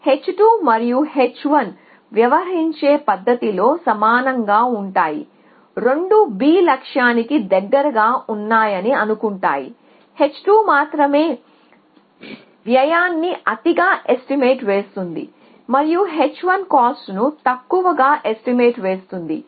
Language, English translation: Telugu, So, in the manner h 2 and h 1 are similar the both of them think that B is closer to the goal, the only difference is h 2 overestimates the cost and h 1 underestimates the cost essentially